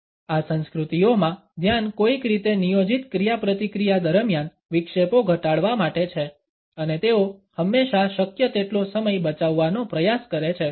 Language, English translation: Gujarati, The focus in these cultures is somehow to reduce distractions during plant interactions and they always try to save time as much as possible